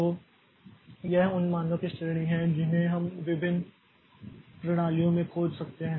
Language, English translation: Hindi, So, this is the range of values that we that in different systems you can find out